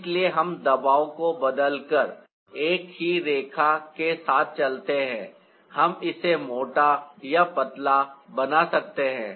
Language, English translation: Hindi, by changing the pressure we can make it thicker or thinner